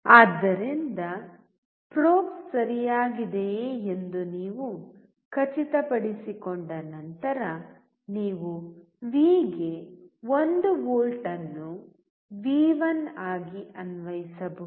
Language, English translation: Kannada, So, once you make sure that the probes are ok, then you can apply 1 volt to the V as V1